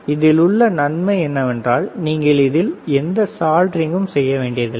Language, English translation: Tamil, The advantage here is you do not have to do any soldering